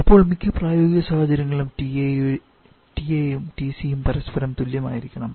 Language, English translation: Malayalam, Now for most of the practical situations usually have TC to be equal to each other